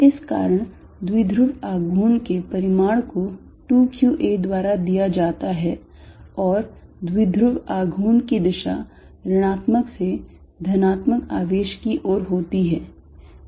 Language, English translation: Hindi, So, that the magnitude of dipole moment is given by 2qa, and the direction of dipole moment is from negative to positive charge